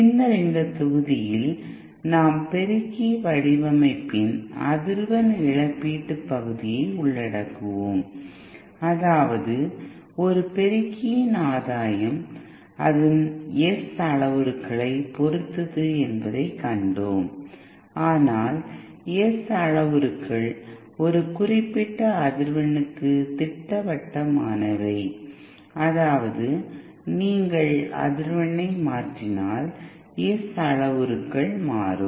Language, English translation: Tamil, Later in this module we will be covering the frequency compensation part of amplifier design that is, we saw that the gain of an amplifier is dependent on its S parameters, but then S parameters themselves are specific for a particular frequency that is, if you change the frequency, the S parameters also will change